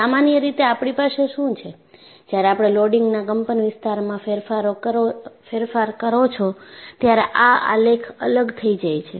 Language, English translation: Gujarati, In general, what we will have is, when you change the amplitude of the loading, these graphs also will differ